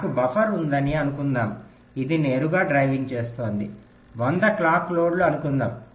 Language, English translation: Telugu, suppose i have, i have, a buffer which is directly driving, let say, hundred clock loads